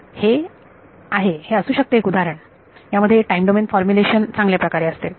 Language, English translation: Marathi, So, that might be one example where time where time domain formulation is better